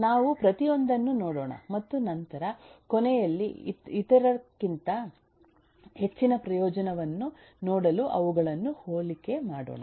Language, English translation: Kannada, we will take a look into each one of them and then towards the end kind of compare them to see what has an advantage over the other